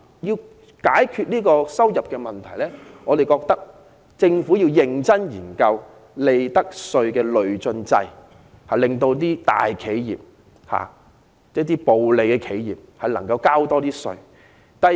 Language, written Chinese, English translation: Cantonese, 要解決收入不穩的問題，我們認為政府應認真研究引入利得稅累進制，令賺取暴利的大企業多繳稅款。, To address the problem of unstable revenue the Government should seriously consider introducing a progressive profits tax to collect more taxes from the profiteering corporations